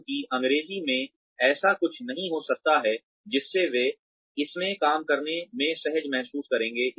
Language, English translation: Hindi, Because, English may not be something that, that they will feel comfortable dealing in